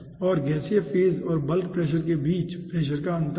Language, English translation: Hindi, this is the pressure difference between the gaseous phase and the liquid phase and this is the pressure difference between the gaseous phase and the bulk